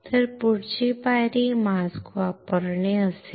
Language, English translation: Marathi, So, the next step would be to use the mask